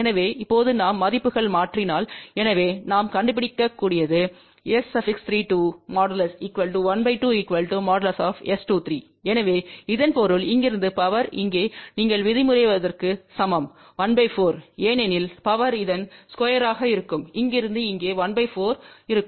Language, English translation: Tamil, So, if we now substitute these values so what we can find out is that S 3 2 magnitude is equal to half and that is equal to S 2 3; so that means, the power from here to here is equal to you can say 1 by 4 because, power will be square of this and from here to here will be 1 by 4